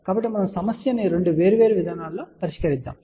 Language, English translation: Telugu, So, we are going to actually solve this problem in two different approaches